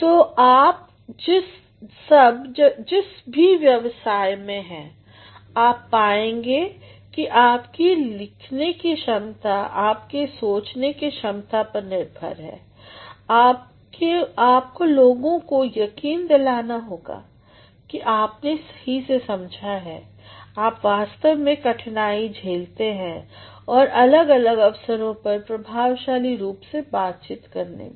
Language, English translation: Hindi, So, all of you whatever profession you are in, you will find that your writing ability based on your thinking ability, will convince people that you have learnt well, you have actually struggled well to communicate effectively for a variety of situations